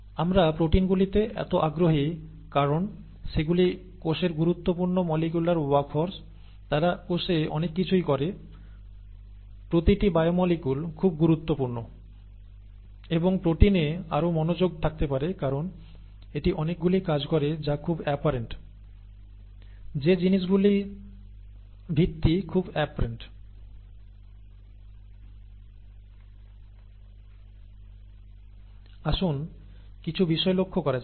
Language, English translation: Bengali, And we are so interested in proteins because they are important molecular workhorses in the cell, they do lot of things in the cell, each biomolecule is very important and there , there could be more of a focus on proteins because it does so many things that are very apparent, that the basis of things that are very apparent, okay